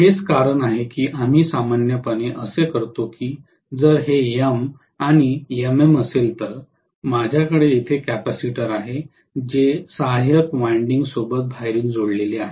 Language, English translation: Marathi, That is the reason why we normally what we do is if this is M and MM like this, I am going to have a capacitor externally connected along with auxiliary winding coming here